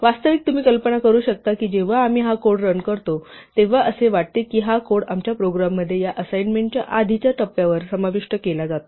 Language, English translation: Marathi, Actually, you can imagine that when we run this code, it is as though we have this code inserted into our program at this point preceded by this assignment